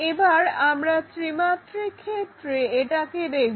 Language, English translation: Bengali, The other way is look at it in three dimensions